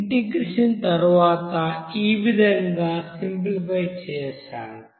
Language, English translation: Telugu, After integration, we have simplified as this